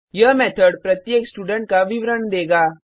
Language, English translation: Hindi, This method will give the detail of each student